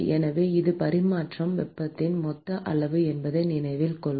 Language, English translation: Tamil, So, note that it is the total amount of heat that is transferred